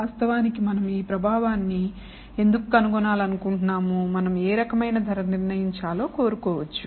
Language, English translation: Telugu, Why do we want to actually find this effect, we may want to determine what kind of price